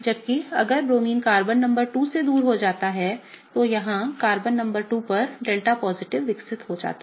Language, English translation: Hindi, Whereas, if bromine gets away from Carbon number 2, Carbon number 2 here develops a delta positive, right